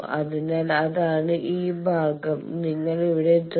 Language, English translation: Malayalam, So, that is this part and you are reaching here